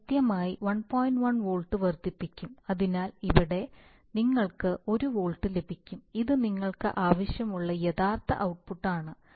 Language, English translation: Malayalam, 1volts so that here you get 1 volt which is a real output you want, right